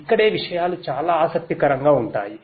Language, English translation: Telugu, This is where things are very interesting